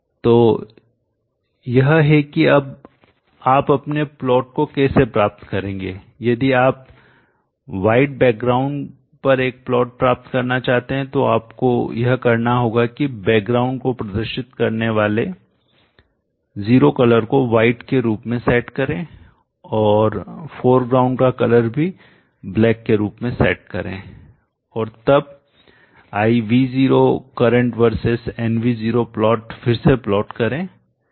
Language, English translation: Hindi, So this is how you would get your plot outs now if you want to get a plot out on white background this is what you need to do set color zero representing the background as white and also set color of the foreground one as black and then plot again plot IV0 current will be V0 versus the maximize it and then you see that it is so you could choose whichever type of background and foreground that you want according to your convenience